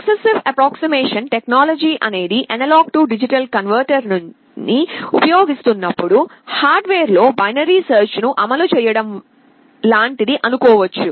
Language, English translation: Telugu, This successive approximation technique is like implementing binary search in hardware in performing the A/D conversion